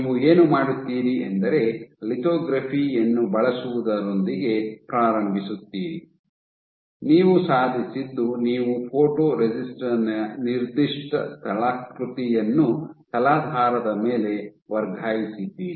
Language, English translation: Kannada, So, what you do you begin with the same thing you have using lithography, what you have achieved is you have transferred a given topography of your photoresist on the substrate